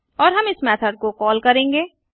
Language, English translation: Hindi, And we will call this method